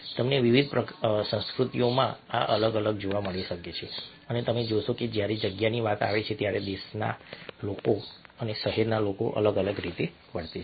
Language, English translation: Gujarati, you might find this varying in different cultures and you see that country people and a city people behaved differently when it comes to space